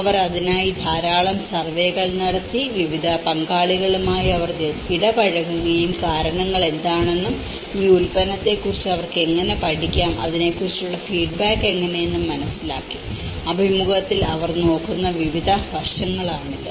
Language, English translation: Malayalam, And they have done a lot of survey in that so, they have interacted with a variety of stakeholders they learnt what are the reasons, how they could learn about this product, how what is the feedback about it so; this is a variety of aspects they look at interview